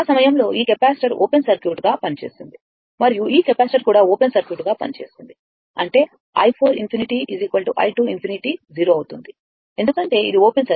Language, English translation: Telugu, At that time, this capacitor will act as open circuit and this capacitor will act as open circuit; that means, i 4 infinity is equal to i 2 infinity will be 0